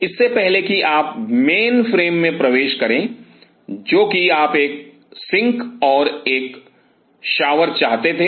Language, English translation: Hindi, Before you enter to the mainframe which is you wanted to have a sink and a shower